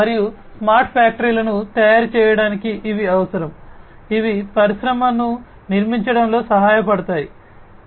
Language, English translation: Telugu, And, these are required for making smart factories which in turn will help achieve in building Industry 4